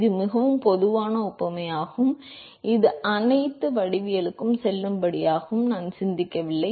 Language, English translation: Tamil, It is a very general analogy which is valid for pretty much all the geometry is that we did not think off